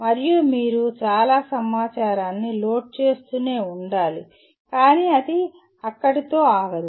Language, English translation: Telugu, And you have to keep loading lot of information but it cannot stop there